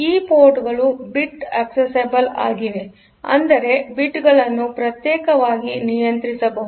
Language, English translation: Kannada, 7 because of the fact that this ports are bit accessible; so, you can control individual bits separately